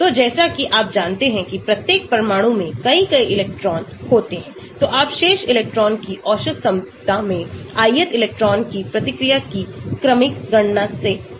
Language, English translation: Hindi, So, as you know there are many, many electrons in each atom, so you approximated by a sequential calculation of the response of the ith electron in the average potential of rest of the electrons